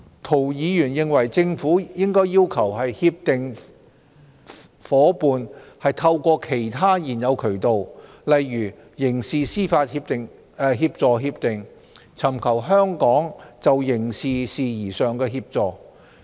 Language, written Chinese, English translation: Cantonese, 涂議員認為政府應要求協定夥伴透過其他現有渠道，例如刑事司法協助協定，尋求香港就刑事事宜上的協助。, Mr TO is of the view that the Government should require its Comprehensive Agreement partners to seek assistance in criminal matters from Hong Kong via other existing channels such as the agreements on mutual legal assistance MLA in criminal matters